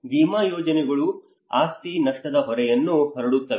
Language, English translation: Kannada, Insurance schemes spread the burden of property losses